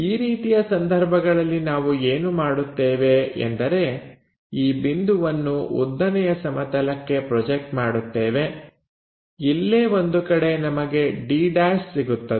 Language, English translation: Kannada, If that is the case what we are going to do project this point on to vertical plane, somewhere there we will get d’